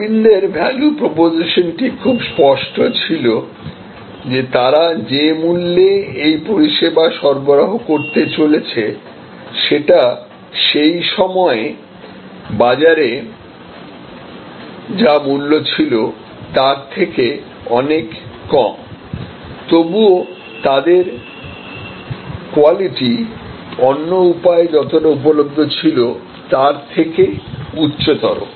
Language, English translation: Bengali, So, Aravind value proposition was very clear that it was going to provide service at a price level, which was at that point of time way lower than what was available in the market, yet their quality was in many ways superior to what was available in the market